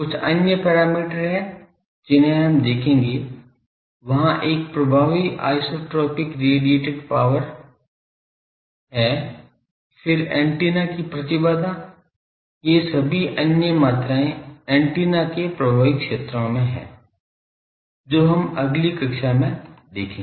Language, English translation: Hindi, So, that will see like there is an effective isotropic radiated power , then the impedance of the antenna , these are all other quantities in effective area of antenna , those will see in the next class ok